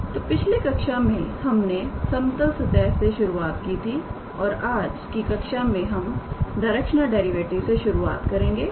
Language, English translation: Hindi, So, in the previous class we started with level surfaces and in today’s class we started with directional derivative